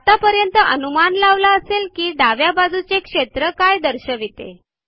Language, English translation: Marathi, By now you would have guessed what the fields on the left hand side indicate